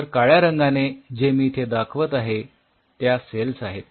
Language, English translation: Marathi, So, the black what I am drawing is the cells